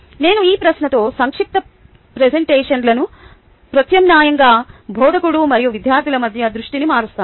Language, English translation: Telugu, i alternate brief presentations with these questions, shifting the focus between the instructor and students